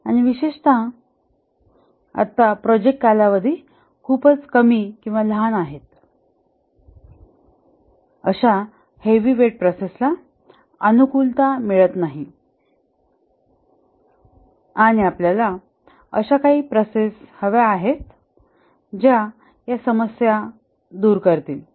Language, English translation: Marathi, And specifically now that the project durations are very short, such heavyweight processes are not finding favor and we need some processes which do away with these problems